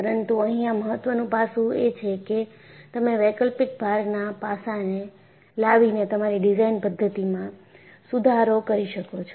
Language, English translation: Gujarati, But the important aspect here is, you have been able to improve your design methodology, by bringing in the aspect of alternating load